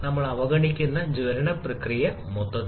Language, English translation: Malayalam, Then we are neglecting the combustion process altogether